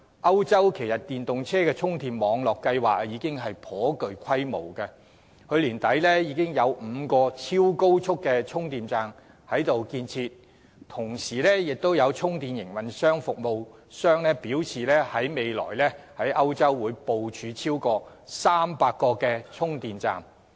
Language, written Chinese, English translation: Cantonese, 歐洲的電動車充電網絡計劃已頗具規模，去年年底有5個超高速充電站正在建設，同時有充電服務營運商表示，未來會在歐洲部署超過300個充電站。, There are now charging network plans of a considerable scale for EVs in Europe with five super charging stations under construction at the end of last year . At the same time according to some charging services operators there are plans to provide more than 300 charging stations in Europe in the future